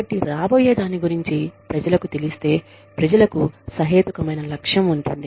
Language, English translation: Telugu, So, if people know, what is coming, people have a reasonable goal